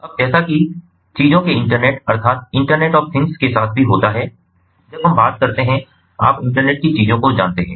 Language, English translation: Hindi, now, as it happens, with the internet of things as well, you know, internet of things, when we talk about there are you know